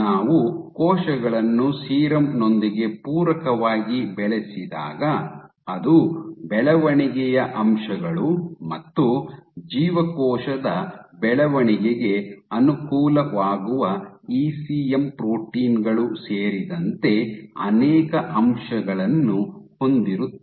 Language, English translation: Kannada, So, when you know that when we culture cells, we always supplement with serum the serum has multiple factors including growth factors as well as ECM proteins which benefit cell you know cell growth ok